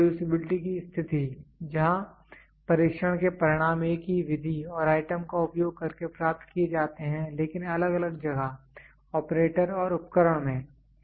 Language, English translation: Hindi, Reproducibility condition; where the test results are obtained using same method and item, but in different place, operator and equipment